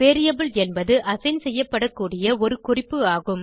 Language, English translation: Tamil, Variable is a reference that can be assigned